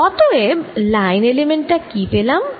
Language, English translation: Bengali, so what is the line element that i get